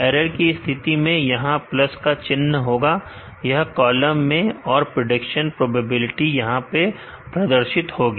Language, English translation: Hindi, In case of error there will be a plus sign in this column and, the prediction probability is displayed here